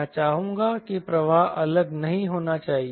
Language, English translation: Hindi, i would like that flow should not separate all